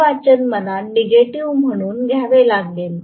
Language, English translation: Marathi, I have to take this reading as negative